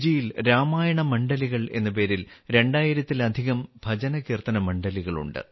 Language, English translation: Malayalam, Even today there are more than two thousand BhajanKirtan Mandalis in Fiji by the name of Ramayana Mandali